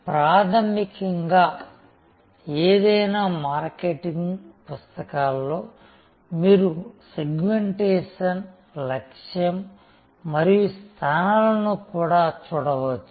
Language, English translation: Telugu, Fundamentally in any marketing book you can also look at segmentation, targeting and positioning